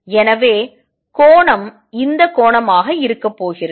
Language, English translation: Tamil, So, angle is going to be this angel